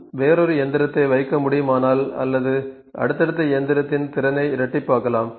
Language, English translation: Tamil, If we can put another machine or we can double the capacity of the successive machine